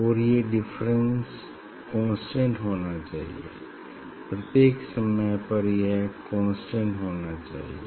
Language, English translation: Hindi, And these phase difference should be constant, all the time it should be constant